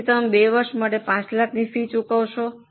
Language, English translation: Gujarati, So, you are paying a fees of 5 lakhs for 2 years